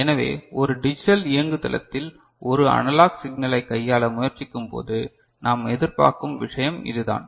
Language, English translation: Tamil, So, this is the kind of thing that we expect when we are trying to manipulate an analog signal in a digital platform right